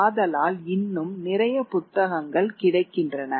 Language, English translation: Tamil, So therefore there is larger availability of books